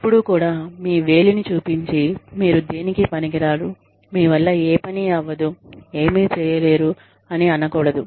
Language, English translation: Telugu, Do not ever, use your finger, and say, you are absolutely, you know, useless, nothing can happen to you, nothing can be done